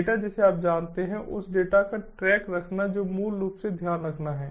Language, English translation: Hindi, you know securing that data, you know keeping track of the data that basically has to be taken care of